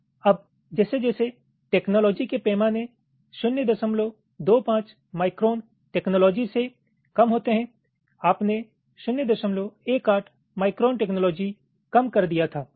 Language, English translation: Hindi, ok, now, as technology scales down, say from point two, five micron technology, you had scaled down to point one, eight micron technology